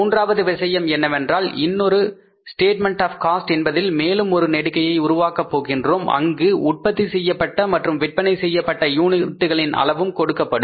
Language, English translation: Tamil, Third thing can be that we can prepare one more statement, cost statement where we will have to make one more column where the information about the units produced and sold is also given